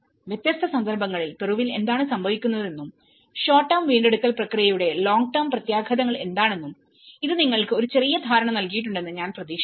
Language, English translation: Malayalam, I hope this has given you a brief understanding of what happens in Peru in different context and what are the long term impacts for the short term recovery process